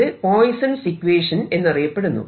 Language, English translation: Malayalam, this is the poisson's equation